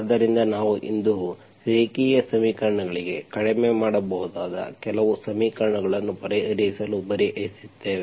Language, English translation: Kannada, So we will now today, we will try to solve some equations that can be reduced to linear equations